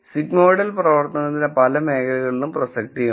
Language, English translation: Malayalam, The sigmoidal function has relevance in many areas